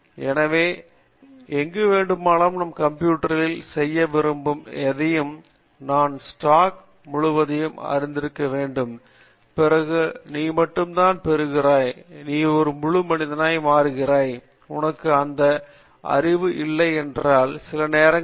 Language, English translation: Tamil, So, anything that I want to do anywhere in computing I need to have the entire knowledge of the stack and then only you get, you become a full person and if you don’t have that knowledge then it sometimes it becomes a quite you know